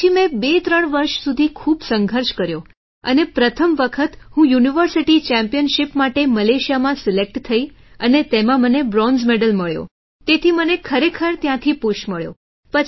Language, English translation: Gujarati, Then I struggled a lot for 23 years and for the first time I got selected in Malaysia for the University Championship and I got Bronze Medal in that, so I actually got a push from there